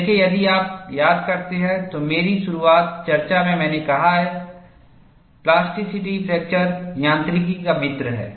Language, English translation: Hindi, See, if you recall, in my early discussion, I have said, plasticity is a friend of fracture mechanics